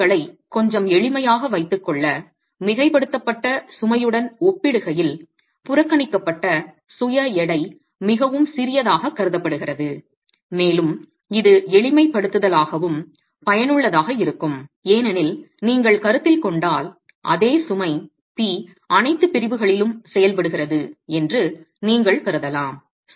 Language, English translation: Tamil, To keep things a little simple, the self weight is neglected is assumed to be very small in comparison to the superimposed load and this is also useful as a simplification because then you can assume that the same load P is acting at all sections if you consider the self weight that's going to be incrementally changing from the top to the bottom